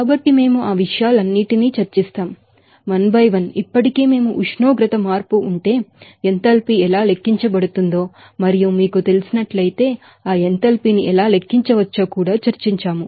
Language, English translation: Telugu, So, we will discuss all those things, 1 by 1 already we have discussed that how enthalpy can be you know calculated if there is the temperature change and also how that enthalpy can be calculated, if there is a you know, phase changes